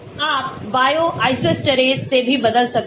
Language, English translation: Hindi, You can also replace with Bio isosteres